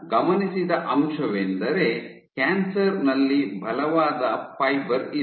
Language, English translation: Kannada, So, what is observed is that there is strong fiber in cancer